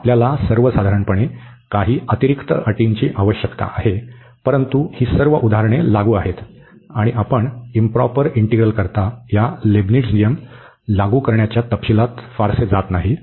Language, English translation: Marathi, We need some extra conditions in general, but all these examples that is applicable and we are not going much into the details about the applicability of this Leibnitz rule for improper integrals